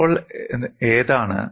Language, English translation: Malayalam, So, which one